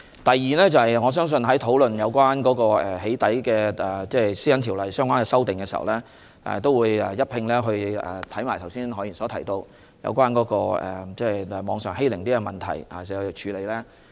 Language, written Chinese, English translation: Cantonese, 第二，我相信在討論對《私隱條例》作出針對"起底"情況的相關修訂時，也會一併研究何議員剛才提及網上欺凌的問題。, This is the first point . Second I believe in the discussion on the relevant amendments to PDPO pinpointing doxxing acts the issue concerning cyber - bullying as mentioned by Dr HO just now will also be examined